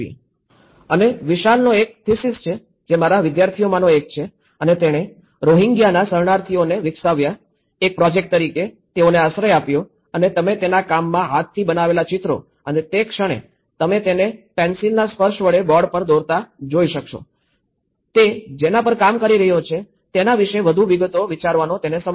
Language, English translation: Gujarati, And also, this is one of the thesis of Vishal, one of my students and he developed a Rohingyaís refugees, sheltered as a project and you can see the handmade drawings of his work and the moment person is touching his pencil and drawing on the board, it will give him more time to think about the details he is working